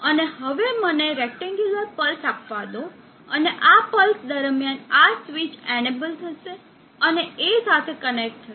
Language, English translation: Gujarati, And let me place a rectangular pulse, and during this pulse this switch will be enable and connected to A